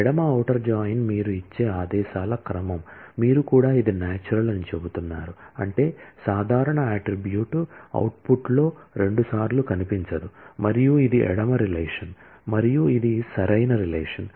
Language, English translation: Telugu, Left outer join is a sequence of commands that you give, you are also saying it is natural, which means that the common attribute will not feature twice in the output and this is the left relation and this is the right relation